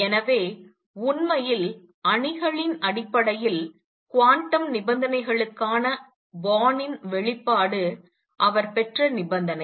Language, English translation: Tamil, So, Born’s expression for quantum condition in terms of matrices in fact, the condition that he derived